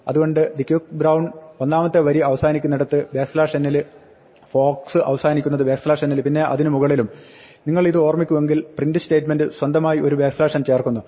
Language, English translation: Malayalam, So, the quick brown, the first line end with the backslash n, fox end with backslash n and then over and above that if you remember the print statement adds a backslash n of its own